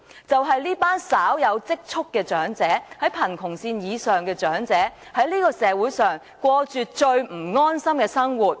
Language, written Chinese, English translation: Cantonese, 這群稍有積蓄、活在貧窮線以上的長者，在社會上過着最不安心的生活。, This group of elderly persons who have some savings and are living above the poverty line are leading the least secure life in society